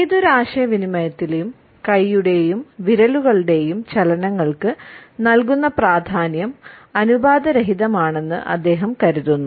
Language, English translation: Malayalam, And he feels that the significance, which is given to hand and fingers movements in any communication is rather disproportionate